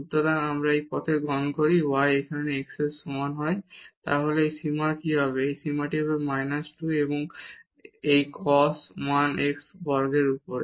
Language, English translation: Bengali, So, if we take this path y is equal to x here then what will happen to this limit, this limit will be minus 2 and this cos 1 over x square